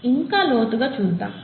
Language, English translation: Telugu, Let’s dig a little deeper